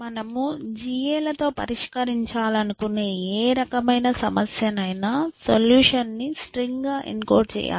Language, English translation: Telugu, And for any kind of a problem that you want to solve with GAS, you have to encode it as a string essentially